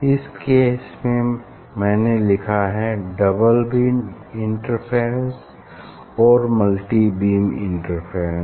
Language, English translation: Hindi, in this case here I have written this double beam interference and multi beam interference